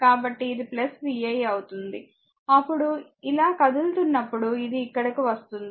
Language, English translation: Telugu, So, it will be plus v 1 then when your moving like this it is coming here